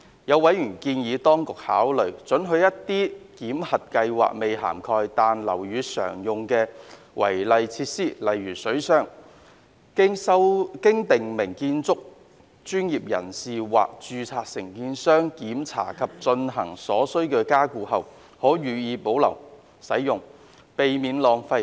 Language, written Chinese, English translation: Cantonese, 有委員建議當局考慮准許一些檢核計劃未涵蓋、但樓宇常用的違例設施，經訂明建築專業人士或註冊承建商檢查及進行所需加固後，可予以保留使用，避免浪費。, Some members have suggested that the Administration should consider allowing certain unauthorized features commonly used in buildings but not yet covered in the validation scheme be retained for continued use after undergoing inspection and necessary strengthening by a prescribed building professional or registered contractor to avoid wastage